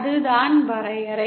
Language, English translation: Tamil, That is the definition